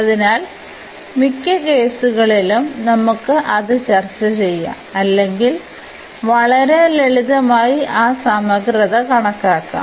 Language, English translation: Malayalam, So, in many cases we can discuss that or we can compute that integral in a very simple fashion